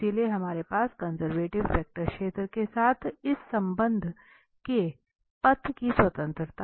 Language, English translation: Hindi, So, we have the independence of path this relation with the conservative vector field